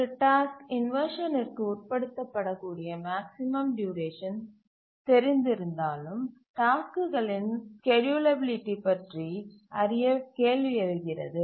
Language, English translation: Tamil, Now even if we know what is the maximum duration for which a task can undergo inversion, how do we check the schedulability